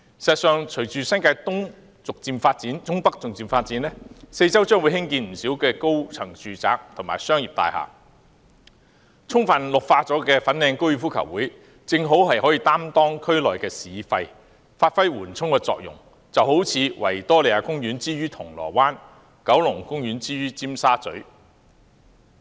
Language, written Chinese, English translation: Cantonese, 事實上，隨着新界東北逐漸發展，四周將會興建不少高層住宅和商業大廈，充分綠化的粉嶺高爾夫球場正好擔當區內"市肺"，發揮緩衝作用，就好像維多利亞公園之於銅鑼灣，九龍公園之於尖沙咀。, As a matter of fact following the gradual development of North East New Territories as many high - rise residential and commercial buildings will be built in the vincinity the Fanling Golf Course with a high level of greening can play the role of a green lung in the district as a buffer in a fashion similar to the Victoria Park in Causeway Bay and Kowloon Park in Tsim Sha Tsui